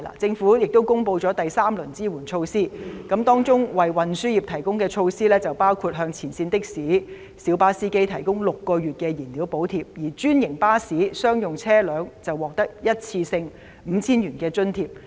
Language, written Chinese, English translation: Cantonese, 政府公布了第三輪紓困措施，當中為運輸業提供的措施包括向前線的士、小巴司機提供6個月燃料補貼，而專營巴士、商用車輛則獲得一次性 5,000 元津貼。, Among the third round of relief measures announced by the Government there are measures to help the transport sector including the provision of six - month fuel subsidies for frontline taxi and minibus drivers and a one - off 5,000 subsidy for franchised buses and commercial coaches